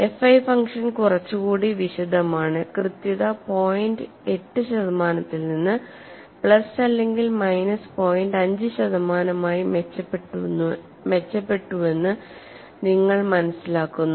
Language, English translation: Malayalam, The function F 1 is little more elaborate and you find the accuracy improved from point eight percent to plus or minus point five percent and the function F 1 is given as 1